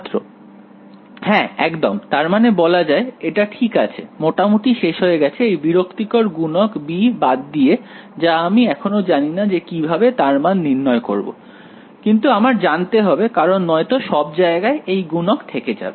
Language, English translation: Bengali, Yeah exactly, so I mean it is a fine it is almost done except for the annoying factor b which I still do not know how what that value is, but I need to know it because otherwise I will have that one variable everywhere